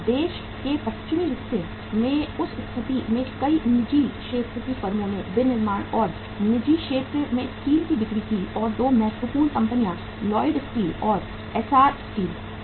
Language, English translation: Hindi, In that situation in the western part of the country many private sector firms came up manufacturing and selling steel in the private sector and 2 important firms were Lloyd Steel and Essar Steel